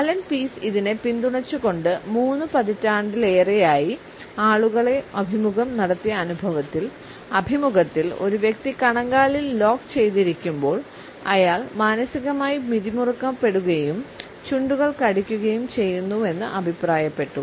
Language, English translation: Malayalam, It has been supported by Allan Pease also who has commented that, in his more than three decades of interviewing and selling two people, it has been noted that when it interviewing locks his ankle he is mentally biting his lips